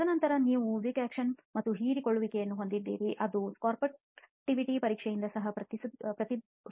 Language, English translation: Kannada, And then again you have wick action and absorption which can be also reflected by the sorptivity test